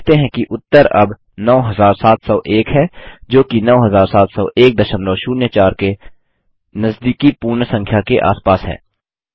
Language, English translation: Hindi, You see, that the result is now 9701, which is 9701.04 rounded of to the nearest whole number